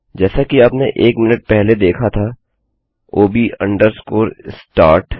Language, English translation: Hindi, So as you saw a minute ago that is ob underscore start